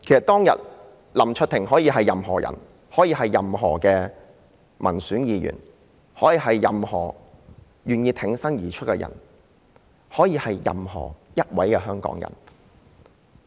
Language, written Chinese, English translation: Cantonese, 當日林卓廷議員可以是任何人，可以是民選議員、是願意挺身而出的人甚至是任何一位香港人。, Mr LAM Cheuk - ting could be anyone―an elected Member a person willing to step forward or even any Hongkonger